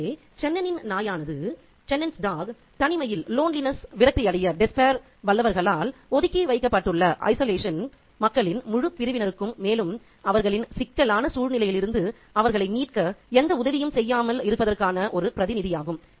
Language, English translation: Tamil, So, the dog, Chenon's dog is a representative for the entire section of people who are left behind by the powerful to, you know, despair in isolation and without any kind of help that would rescue them from their critical situation